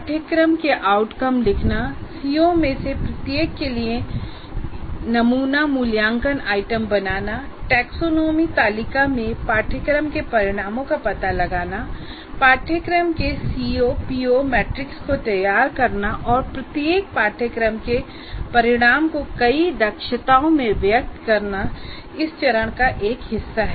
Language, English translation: Hindi, Writing course outcomes, creating sample assessment items for each one of the C O's or the course outcomes, locating course outcomes in the taxonomy table, preparing the C O PSO matrix of the course, and elaborating each course outcome into several competencies, it could be total number of competencies could be 15 plus or minus 5